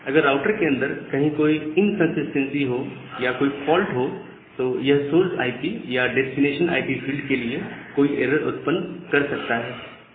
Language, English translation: Hindi, So, if there is certain inconsistency or certain faults inside the router that may introduce an error to the source IP or the destination IP field